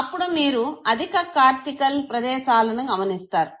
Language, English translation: Telugu, And then you realize that the higher cortical areas are involved